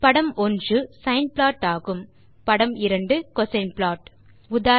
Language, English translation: Tamil, In this figure 1 is the sine plot and figure 2 is the cosine plot